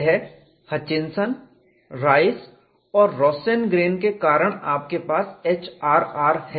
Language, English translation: Hindi, That is, because Hutchinson Rice and Rosengren you have this HRR